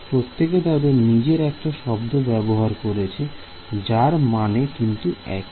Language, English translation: Bengali, Everyone comes up with their own word for it they all mean the same thing ok